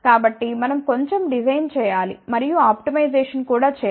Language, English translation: Telugu, So, we have to do little bit of a design and then optimisation also